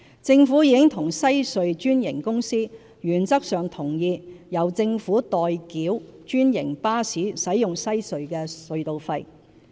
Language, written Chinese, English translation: Cantonese, 政府已與西隧專營公司原則上同意由政府代繳專營巴士使用西隧的隧道費。, The Government has reached an in - principle agreement with the franchisee of the Western Harbour Crossing WHC for the Government to pay for franchised buses the tolls for using WHC